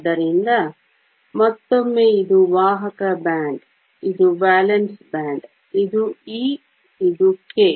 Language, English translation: Kannada, So, once again this is the conduction band, this is the valence band, this is E, this is K